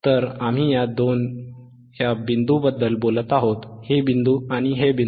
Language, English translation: Marathi, So, we are talking about these 2 points, this and theseis points